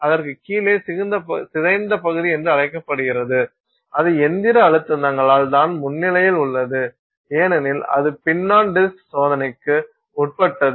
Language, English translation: Tamil, Below that you have this thing called the deformed region and that is because of the mechanical stresses that are there on the pin because it is being subject to this test of pin on disk